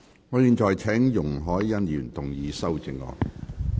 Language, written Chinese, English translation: Cantonese, 我現在請容海恩議員動議修正案。, I now call upon Ms YUNG Hoi - yan to move her amendment